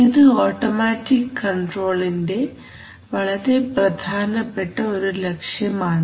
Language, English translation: Malayalam, That is a very important objective of automatic control